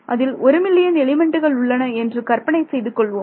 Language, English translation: Tamil, Imagine you have a code where there are 1 million elements